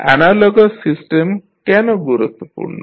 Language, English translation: Bengali, So, why the analogous system is important